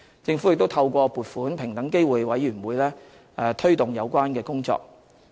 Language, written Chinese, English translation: Cantonese, 政府亦透過撥款平等機會委員會推動有關工作。, The Government has also promoted work in this respect through funding appropriations to the Equal Opportunities Commission